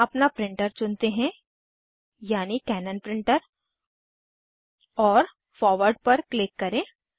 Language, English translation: Hindi, Here, lets select our printer, i.e., Cannon Printer and click on Forward